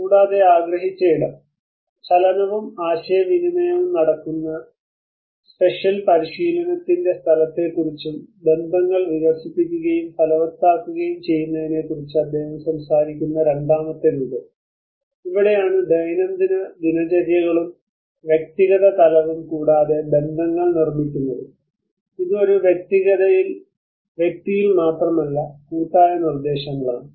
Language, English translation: Malayalam, And, perceived space; the second form which he talks about the space of spatial practice where the movement and the interaction takes place, and the networks develop and materialize, this is where the daily routines and the individual level, as well as the networks, keep building on it is not only at an individual but also at the collective orders